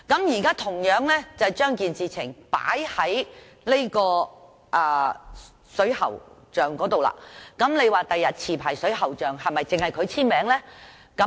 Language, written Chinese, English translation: Cantonese, 現在將情況套用於水喉匠身上，日後是否只要持牌水喉匠簽署呢？, We now apply this situation to plumbers . In future will licensed plumbers be the only persons required to sign the documents?